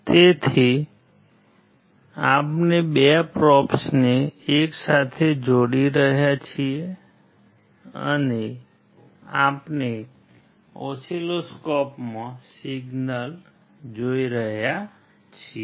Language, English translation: Gujarati, So, we are connecting the 2 probes together and we are looking at the signal in the oscilloscope